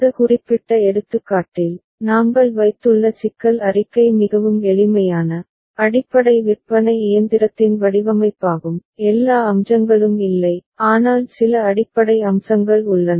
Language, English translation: Tamil, In this particular example, the problem statement that we have placed is design of a very simplified, basic vending machine not all the features are there, but some of the basic features are there